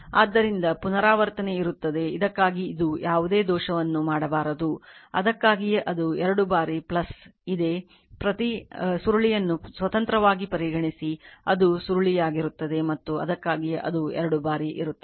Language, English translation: Kannada, So, repetition will be there right this should not this one should not make any error for this that is why twice it is there you have plus it your coil considering each coil independently right and that that is why twice it is there